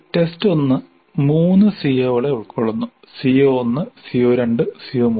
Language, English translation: Malayalam, And test 2 covers 2 COs CO4 and CO5